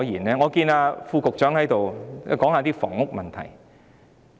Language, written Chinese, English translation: Cantonese, 我看見副局長在席，便也談談房屋問題。, As the Under Secretary is now present I shall talk about housing issues as well